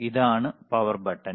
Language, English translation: Malayalam, So, this is the power button, all right